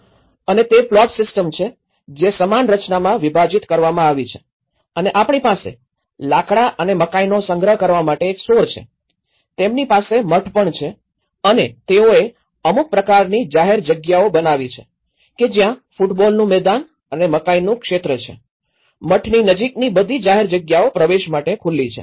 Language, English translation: Gujarati, And is the plot system which has been subdivided into equal composition and we have the store for, they built a store and corn for storing the wood and they also have the monastery and they built some kind of public spaces where there has a football ground and the maize field and you know, there is all the public space access near to the monastery